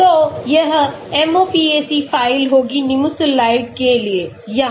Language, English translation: Hindi, So this will be the MOPAC file for Nimesulide here